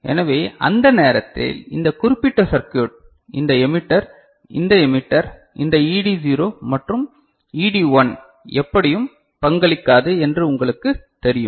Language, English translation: Tamil, So, at that time this particular circuit right, this emitter, this emitter, this ED0 and ED1 is not you know contributing in anyway